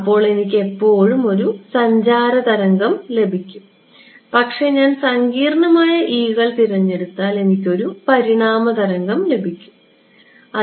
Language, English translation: Malayalam, Then I will always get a traveling wave, but if I chose e’s to be complex, I am able to get an evanescent wave right